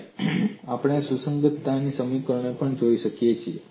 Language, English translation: Gujarati, And we can also look at the equation of compatibility